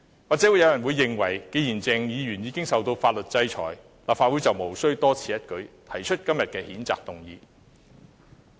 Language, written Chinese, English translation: Cantonese, 或許有人認為既然鄭議員已受到法律制裁，立法會便無須多此一舉，提出今天的譴責議案。, Some people may hold that since Dr CHENG had already been subjected to legal sanctions there is no need for the Legislative Council to make this superfluous effort of moving todays censure motion